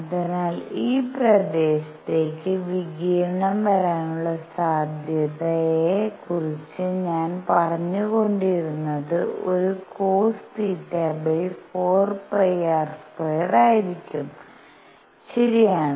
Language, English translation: Malayalam, So, the probability that I was talking about that radiation comes into this area is going to a cosine theta divided by 4 pi r square, alright